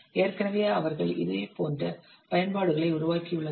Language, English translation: Tamil, So already they have developed similar types of application